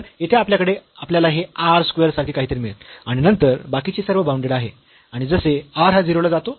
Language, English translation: Marathi, So, we have here we can get this like r square, there and then rest everything will be bounded and as r goes to 0